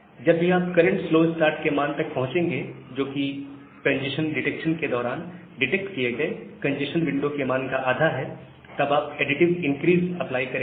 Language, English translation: Hindi, Apply the slow start, whenever you will reach the current slow start value, which is the half of the congestion window that was detected during the congestion detection, and then apply additive increase